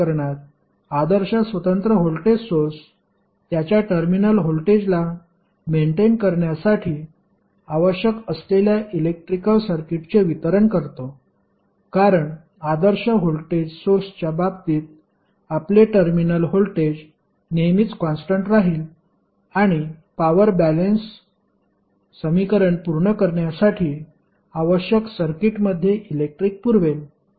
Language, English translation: Marathi, In this case the ideal independent voltage source delivers to circuit the whatever current is necessary to maintain its terminal voltage, because in case of ideal voltage source your terminal voltage will always remain constant and it will supply power which is necessary to satisfy the power balance equation in the circuit